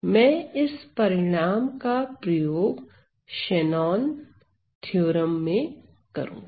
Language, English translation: Hindi, So, I am going to use this result, to show what is my Shannon theorem